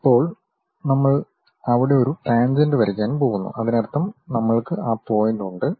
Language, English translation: Malayalam, Now, we are going to draw a tangent there so that means, we have that point